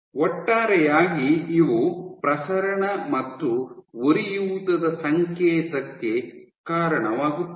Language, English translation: Kannada, So, overall these leads to proliferation and an inflammation signal